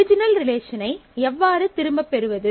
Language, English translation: Tamil, How do I get back the original relation